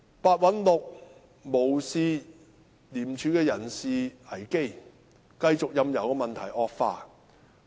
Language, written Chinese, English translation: Cantonese, 白韞六無視廉署的人事危機，繼續任由問題惡化。, Disregarding the personnel crisis in ICAC Simon PEH continues to let the problem worsen